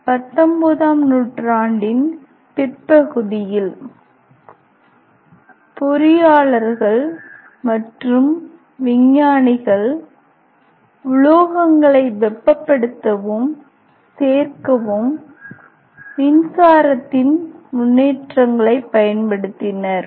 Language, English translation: Tamil, Then in late 19th century general engineer and scientist apply advantages or advances of electricity to heat and join metal